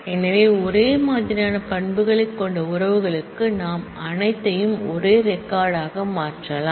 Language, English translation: Tamil, So, for relations having the same set of attributes we can simply make a union of all it is records